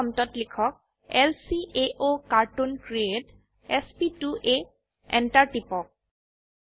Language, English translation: Assamese, At the dollar prompt, type lcaocartoon create sp2a , press Enter